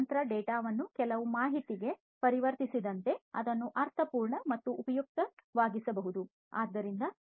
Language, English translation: Kannada, As the conversion of machine data to some information, that can be made meaningful and useful